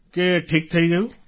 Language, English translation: Gujarati, That it's fine…